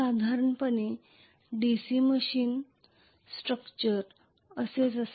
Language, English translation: Marathi, This is what is generally the DC machine structure